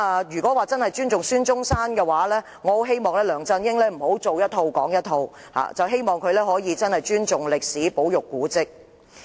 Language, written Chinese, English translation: Cantonese, 如真正尊重孫中山，我希望梁振英不要說一套、做一套，希望他真正尊重歷史、保育古蹟。, If he really respects Dr SUN Yat - sen I hope that LEUNG Chun - ying will walk the talk by showing true respect for history and conserving monuments